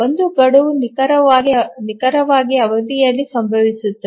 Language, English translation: Kannada, So the deadline occurs exactly at the period